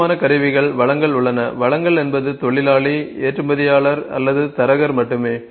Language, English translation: Tamil, Then important tools resources are just tell you, resources are just the workers or exporter broker which are used